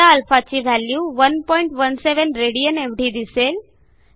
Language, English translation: Marathi, We will find that the value of α now is 1.17 rad